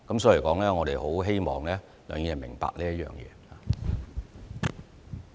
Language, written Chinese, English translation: Cantonese, 所以，我們很希望梁議員明白這一點。, Therefore I hope Mr LEUNG would understand this